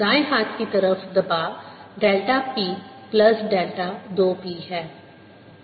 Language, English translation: Hindi, the pressure on write hand side is delta p plus delta two p